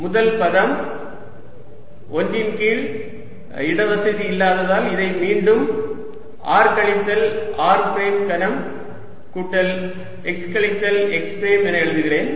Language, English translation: Tamil, let me again, for the lack of space, write this is r minus r prime cubed plus x minus x prime